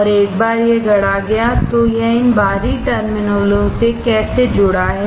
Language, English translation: Hindi, And once it is fabricated how is it connected to these external terminals